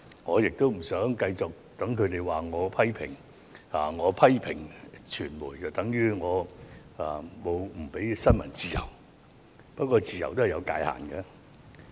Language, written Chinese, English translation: Cantonese, 我不想繼續被他們指責我，認為我批評傳媒便等於我不允許新聞自由，但自由是有界限的。, I hope they can stop criticizing me and taking my criticisms against the media as my disapproval of press freedom . But I must say that freedom is not without any boundary